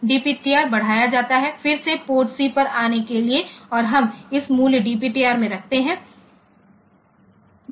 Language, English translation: Hindi, So, that port B increment DPTR again to come to port C and we put this value DP, this a value into DPTR